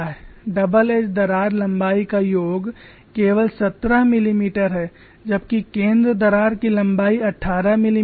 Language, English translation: Hindi, So the sum of the double edge crack length is only seventeen millimeter whereas the center crack length was 18 millimeter